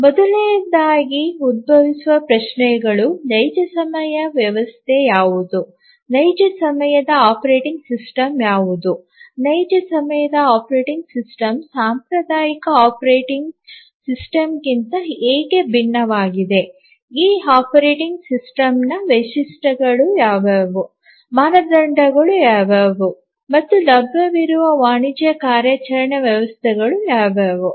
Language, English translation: Kannada, So, the first question that we need, somebody would ask is that what is a real time system, what is a real time operating system, how is real time operating system different from a traditional operating system, what are the features of this operating system, what are the standards etcetera, what are the commercial operating systems that are available